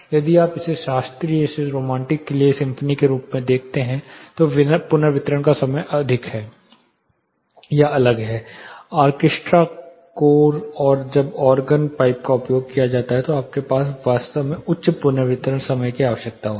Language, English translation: Hindi, If you look at it symphony for classical to romantic then the reverberation time is different, orchestra chorus and organ when organ pipes are used you will need fairly high reverberation time